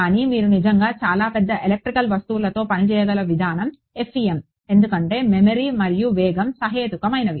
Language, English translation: Telugu, But, the way you are able to really work with very large electrical objects is FEM because memory and speed are reasonable